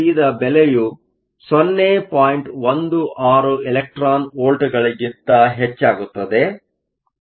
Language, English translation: Kannada, 12 electron volts